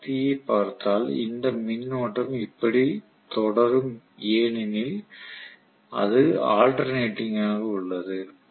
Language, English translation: Tamil, So If I look at the power I am going to have actually this current will continue like this right because it is alternating in nature